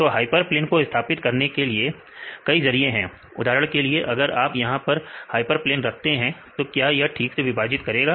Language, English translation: Hindi, So, there are various ways to set the hyperplane for example, if you put the hyperplane here; can it separate correctly